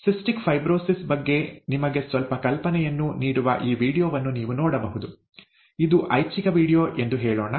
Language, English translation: Kannada, You can look at this video which gives you some idea of cystic fibrosis, it is a let us say an optional video